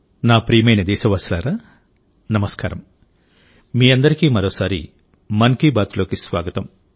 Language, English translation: Telugu, I extend a warm welcome to you all in 'Mann Ki Baat', once again